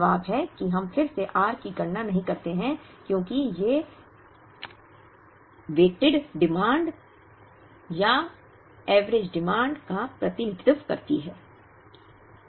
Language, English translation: Hindi, The answer is we do not compute r again, because these demands represent the weighted or average demand